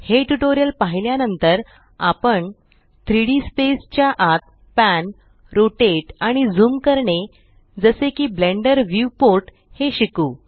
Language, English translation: Marathi, After watching this tutorial, we shall learn how to pan, rotate and zoom within a 3D space such as the Blender viewport